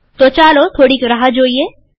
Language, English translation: Gujarati, So lets wait for some time